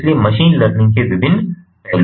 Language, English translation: Hindi, you know, so there are different aspects of machine learning